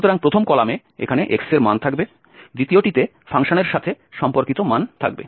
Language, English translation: Bengali, So, the first column will contain the values of x here, the second one its corresponding values of the function